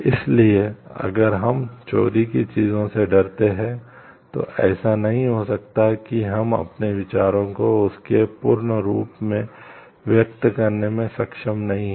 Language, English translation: Hindi, So, if we are in the fear of things getting stolen, then it may not like we may not be able to express our ideas in a in it is fullest form